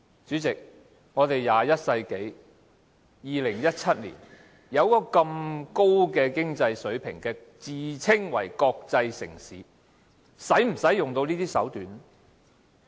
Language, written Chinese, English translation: Cantonese, 主席，現在是21世紀，我們有這麼高的經濟水平，自稱為國際城市，是否要用到這些手段呢？, President it is now the 21 century the year 2017 . As a city with such a high level of economic achievement that calls itself a world city should we employ all such means?